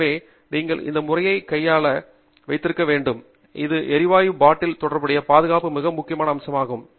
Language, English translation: Tamil, So, you must have it properly setup this particular manner and that is a very important aspect of safety associated with gas bottles